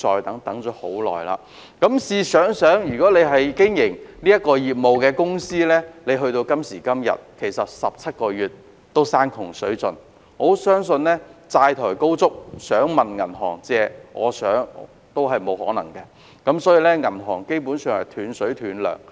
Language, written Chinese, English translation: Cantonese, 大家試想想，經營有關業務的公司時至今天已等候17個月，已經山窮水盡，有些甚或已債台高築，想問銀行借錢相信亦沒有可能，基本上已斷水斷糧。, Members can imagine their situation . By now companies running the relevant business have been waiting for 17 months so they are already at the end of their tether and some of them are deeply in debts